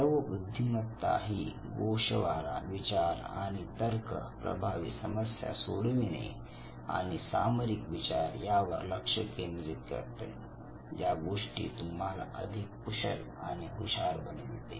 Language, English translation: Marathi, So Fluid intelligence it basically would look at the abstract thinking and reasoning, effective problem solving and strategic thinking and these are the three key characteristics that will make you street smart